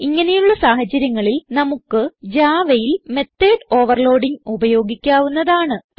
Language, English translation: Malayalam, So in such case java provides us with method overloading